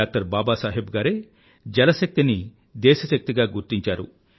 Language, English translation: Telugu, Baba Saheb who envisaged water power as 'nation power'